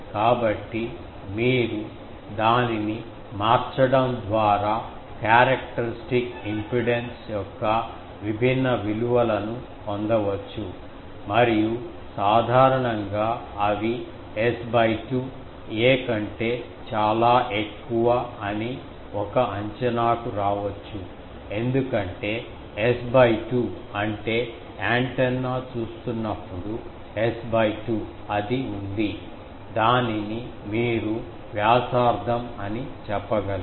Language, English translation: Telugu, So, by changing that you can get different values of characteristics impedance and generally they also has an approximation that S by 2 is much greater than ‘a’ because S by 2 means when the antenna is seeing, S by 2 is it is you can say that radius